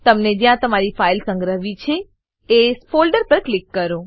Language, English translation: Gujarati, Click on the folder where you want to save your file